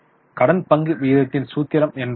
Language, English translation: Tamil, What is the formula of debt equity ratio